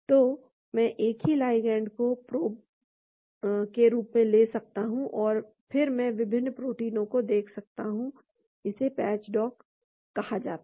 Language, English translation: Hindi, So, I can take the same ligand as a probe and then I can look at different proteins that is called a patch dock